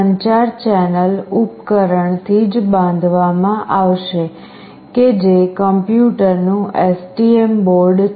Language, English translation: Gujarati, The communication channel must be built from the device, that is the STM board, to the PC